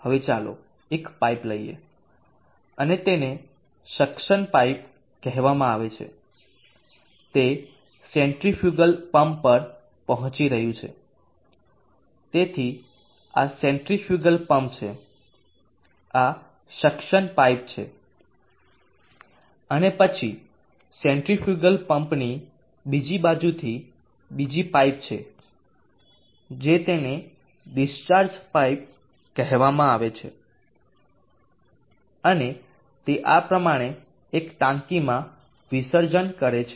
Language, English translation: Gujarati, Now let us have a pipe and that is called the suction pipe, it is reaching the centrifugal pump, so this is the centrifugal pump, this is the suction pipe, and then from the other side of the centrifugal pump where in other pipe which is called the discharge pipe and it discharges into over a tank in this fashion